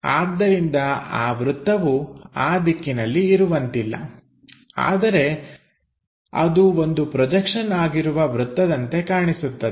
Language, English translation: Kannada, So, circle should not be there on that direction, but looks like a projection circle we might be going to sense it in that way